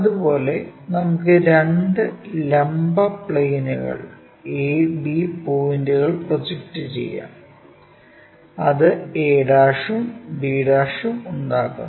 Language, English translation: Malayalam, Similarly, let us project A B points on 2 vertical plane, it makes a' and makes b'